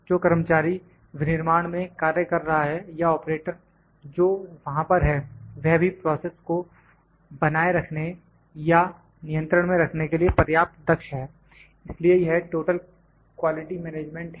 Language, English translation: Hindi, The worker who is working in manufacturing or the operator who is there, he is also skilled enough to maintain or to control the process so that is total quality management